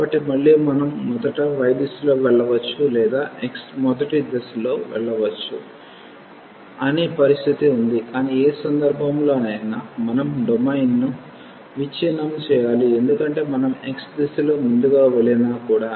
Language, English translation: Telugu, So, again we have the situation that we can either go in the direction of y first or we go in the direction of x first, but in either case we have to break the domain because even if we go first in the direction of x